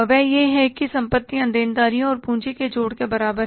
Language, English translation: Hindi, That is the assets are equal to liabilities plus capital